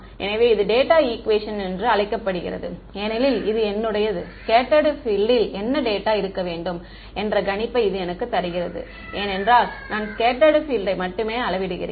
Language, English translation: Tamil, So, this is called the data equation because it is giving me a prediction of what my scattered field data should be; because that is what I measure I only measure scattered field